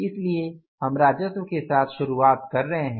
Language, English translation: Hindi, So, we are starting with the revenue